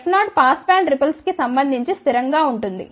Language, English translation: Telugu, F 0 is constant related to pass band ripple